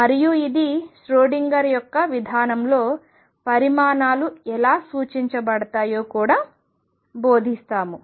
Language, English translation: Telugu, And this will also teaches about how quantities are represented in Schrodinger’s approach